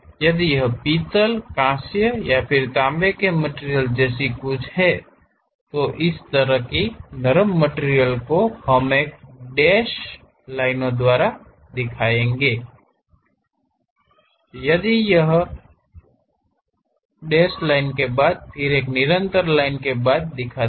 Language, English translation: Hindi, If it is something like brass, bronze or copper material, this kind of soft materials; we show it by a hatched line followed by a dashed line, again followed by a continuous line